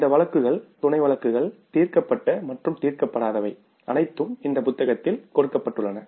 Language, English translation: Tamil, All these cases, some cases, solved and unsolved are given in that book